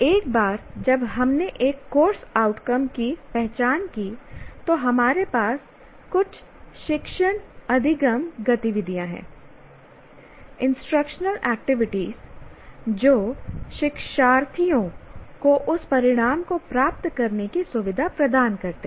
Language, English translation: Hindi, Once we identified a course outcome, we have some teaching learning activities, what we call instructional activities to facilitate the learners to attain that outcome